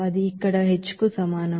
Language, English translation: Telugu, That will be is equal to h here